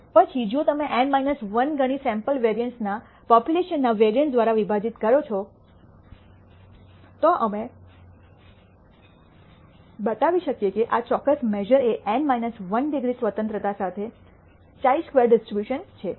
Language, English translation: Gujarati, Then if you take N minus 1 times the sample variance divided by the popu lation variance, we can show that this particular measure is a chi squared dis tribution with N minus 1 degrees of freedom